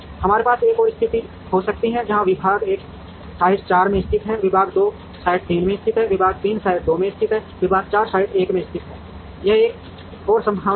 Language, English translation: Hindi, We could have another situation where, department one is located in site 4, department 2 is located in site 3, department 3 is located in site 2, department 4 is located in site 1, this is another possibility